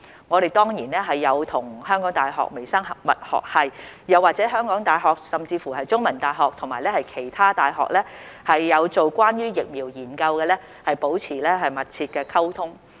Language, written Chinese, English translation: Cantonese, 我們當然有與香港大學微生物學系，又或香港大學甚至是香港中文大學，以及其他有進行關於疫苗研究的大學保持密切的溝通。, Certainly we have maintained close communication with HKUs Department of Microbiology or HKU and even The Chinese University of Hong Kong as well as other universities which have conducted studies relating to the vaccines